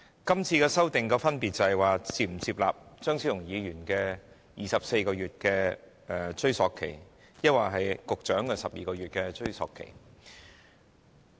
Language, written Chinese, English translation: Cantonese, 現在要討論的是，我們是否接納張超雄議員提出的24個月檢控時效限制，抑或局長提出的12個月。, What we are discussing now is whether we should accept that the time limit for prosecution should be 24 months as proposed by Dr Fernando CHEUNG or 12 months as proposed by the Secretary